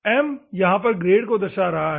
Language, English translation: Hindi, M is referring to the grade